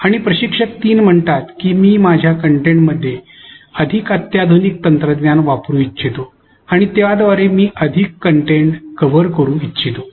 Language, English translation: Marathi, Whereas, instructors 3 says that I would like to use more sophisticated technology in my content and would also like to cover more content through the same